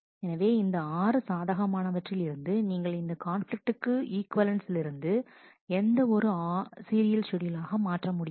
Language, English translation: Tamil, Any of the 6 possibilities, you cannot convert this in a conflict equivalent manner to any of those 6 serial schedules